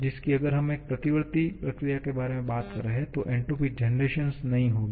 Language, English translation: Hindi, If we are talking about a reversible process, the entropy generation will not be there